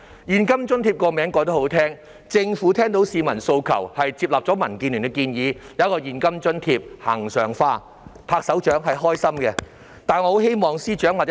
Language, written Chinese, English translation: Cantonese, "現金津貼"這個名字很好聽，政府聽到市民訴求，接納了民建聯的建議，提供現金津貼，並將之恆常化。, The name cash allowance is very catchy . The Government has heeded the aspiration of the public and accepted the proposal of DAB in introducing and regularizing the provision of cash allowance